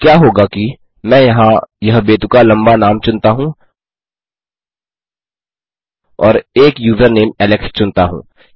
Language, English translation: Hindi, Now what will happen is, lets say I choose this ridiculously long name here and I choose a username say Alex